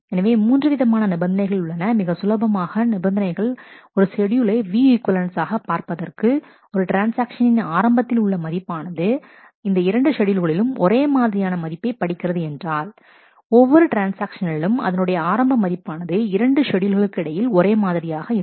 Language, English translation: Tamil, So, there are 3 conditions the conditions are simple what conditions say is a to try a schedules are view equivalent, if the transaction the initial value that a transaction reads is same in both these schedules, for every transaction the initial value that it reads must be the same between the 2 schedules